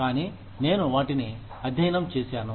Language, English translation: Telugu, But, I have studied it